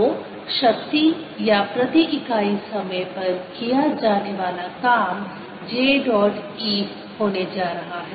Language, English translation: Hindi, so power or the work done per unit time is going to be j dot e